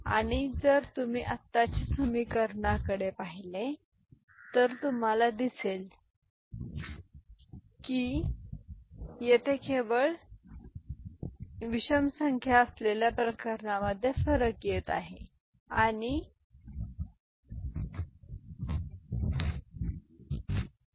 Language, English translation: Marathi, And if you look at now the relationship, you will see that the difference is coming for the cases where there is only odd number of ones here even number of ones; so, this is 0 ok